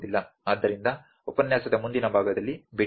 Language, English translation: Kannada, So, let us meet in the next part of the lecture